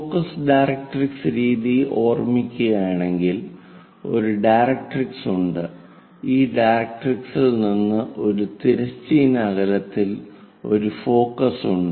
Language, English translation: Malayalam, Just to recall in focus directrix method, there is a directrix and focus is away from this directrix at certain distance